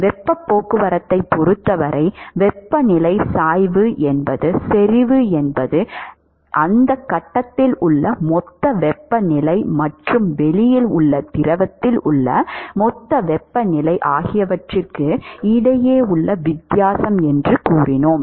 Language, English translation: Tamil, When it comes to heat transport we said that the concentration the temperature gradient is the difference between the bulk temperature in that phase if it is well mixed and the bulk temperature in the fluid outside